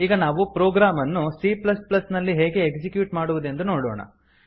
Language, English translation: Kannada, Now we will see how to execute the programs in C++